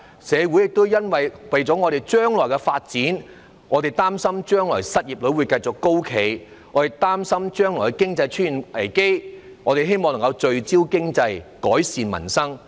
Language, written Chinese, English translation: Cantonese, 我們為了將來社會的發展，擔心將來失業率會繼續高企，也擔心將來經濟會出現危機，希望能夠聚焦經濟，改善民生。, For the sake of societys future development we are worried that the unemployment rate will remain high in the future and we are also worried that an economic crisis will emerge in the future so we hope to focus on the economy and improve peoples livelihood